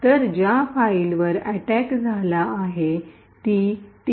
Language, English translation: Marathi, So, the file that was attacked was TUT2